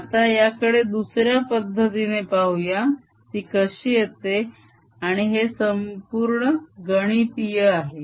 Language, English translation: Marathi, let us now see an another way, how it arises, and this will be purely mathematical